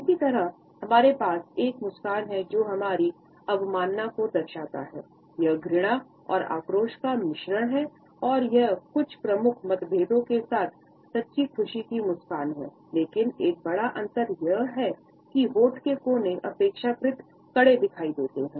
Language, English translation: Hindi, Similarly, we have a smile which shows our contempt, it is a mixture of disgust and resentment and it is very similar to a smile of true delight with some major differences, with a major difference that the corner of lips appear relatively tightened